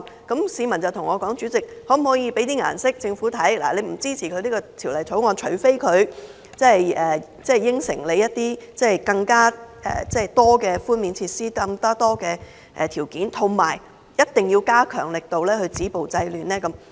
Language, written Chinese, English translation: Cantonese, 有市民對我說，可否向政府施以顏色，我們不支持《條例草案》，除非政府答應推出更多寬免措施和條件，同時加強力度止暴制亂？, Some members of the public asked me to put pressure on the Government by withdrawing our support to the Bill unless it promised to provide more reliefs relax the application criteria and do more to stop violence and curb disorder